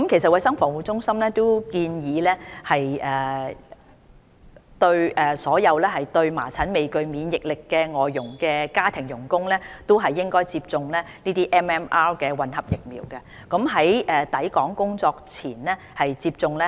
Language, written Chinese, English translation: Cantonese, 衞生防護中心其實已建議所有對麻疹未具免疫力的外傭接種 MMR 混合疫苗，最好在抵港工作前接種。, CHP has in fact advised that FDHs who are non - immune to measles should receive MMR vaccine preferably before they arrive in Hong Kong